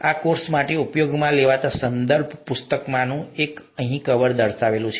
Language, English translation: Gujarati, This is, the, cover of one of the reference books that will be used for this course